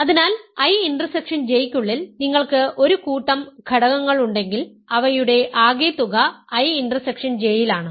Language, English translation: Malayalam, So, if you have a bunch of elements inside I intersection J their sum is in I intersection J